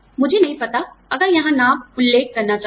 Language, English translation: Hindi, I do not know, if should be mentioning, the name here